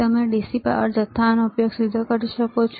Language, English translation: Gujarati, You can directly use DC power supply